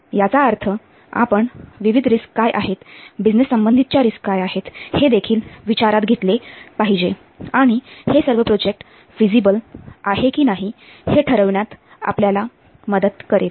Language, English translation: Marathi, That means we also should consider taking into account what are the various risks, business risks associated with and that will help us in deciding whether the project will be feasible or not